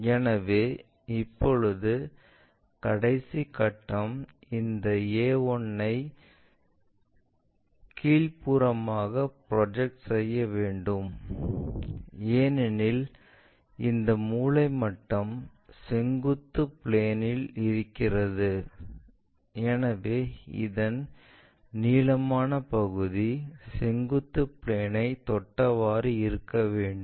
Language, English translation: Tamil, So, now, the last step is project this entire a 1 all the way down, because this set square supposed to be on vertical plane so, the longest one always being touch with this vertical plane